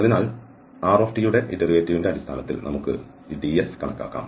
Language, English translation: Malayalam, So, we can compute this ds in terms of this derivative of r